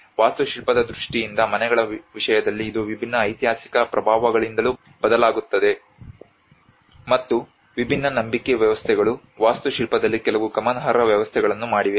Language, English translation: Kannada, In terms of the houses in terms of the architecture it also varies from different historical influences, and different belief systems have also made some significant differences in the architecture